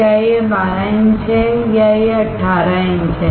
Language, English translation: Hindi, Is it 12 inch or is it 18 inch